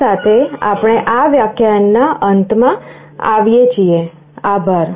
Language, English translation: Gujarati, With this we come to the end of this lecture, thank you